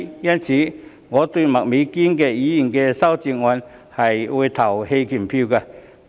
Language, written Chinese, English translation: Cantonese, 因此，我會就麥美娟議員的修正案投棄權票。, Hence I will abstain from voting on the amendment proposed by Ms Alice MAK